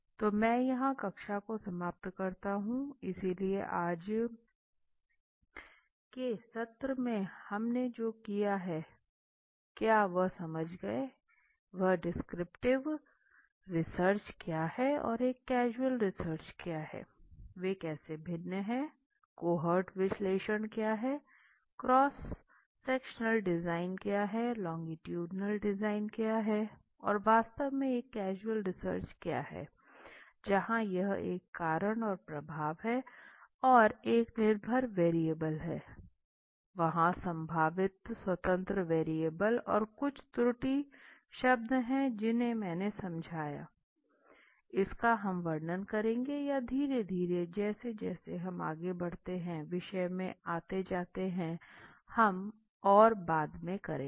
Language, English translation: Hindi, So well let me wind up here the class so today what we have done in the session is we have understood what is the descriptive research and what is a causal research how they are different what is the cohort analysis what is the cross sectional design, what is the longitudinal design and what exactly is an causal research, where this is a cause and effect and there is a dependedntvariable, there is a potential independent variables and some error terms which ever I explained which we would be describing or slowly getting into the subject as we move on and we will be doing later on, okay